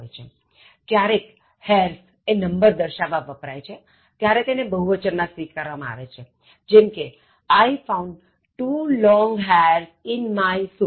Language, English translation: Gujarati, Occasionally, hairs is used to indicate the number when it is considered plural as in the sentence: I found two long hairs in my soup